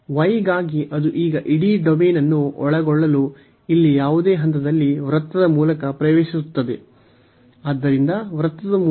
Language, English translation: Kannada, So, for y it is now entering through the circle at any point here to cover the whole domain; so, entering through the circle